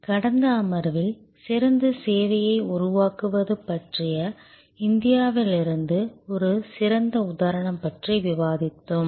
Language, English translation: Tamil, In the last session, we were discussing about a great example from India about creating service excellence